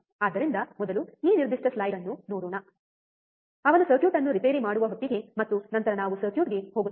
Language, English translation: Kannada, So, let us see this particular slide first, by the time he repairs the circuit and then we go on the circuit